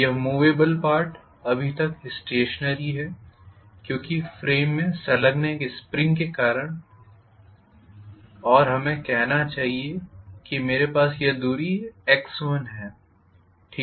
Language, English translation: Hindi, This movable part is still stationary because of a spring that is attaching it to a frame and let us say maybe I have this distance to be x 1, okay